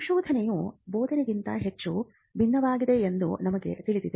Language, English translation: Kannada, So, in research and we know that research is much different from teaching